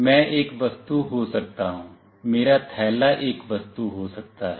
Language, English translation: Hindi, I could be an object, my bag could be an object